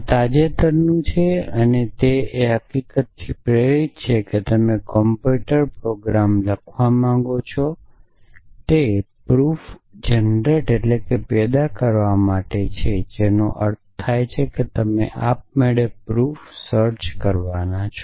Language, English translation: Gujarati, This is by recent and it is motivated by the fact that you want to write a computer program to generate proofs which means you have to find proofs automatically